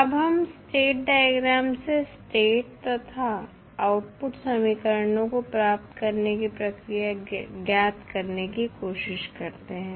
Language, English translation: Hindi, Now, let us try to find out the procedure of deriving the state and output equations from the state diagram